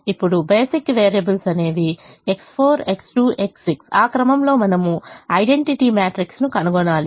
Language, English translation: Telugu, now the basic variables are x, four x two x six, in that order you'll find the identity matrix